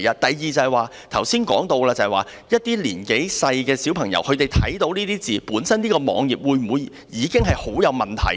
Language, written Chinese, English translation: Cantonese, 第二，剛才說到，這個網頁讓一些年幼的小朋友看到這些字詞，本身會否已經有很大問題？, Secondly as said just now this web page lets some young children read these words . Is this already a big problem in itself?